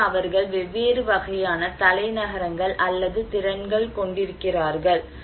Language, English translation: Tamil, So, they have actually different kind of capitals or capacities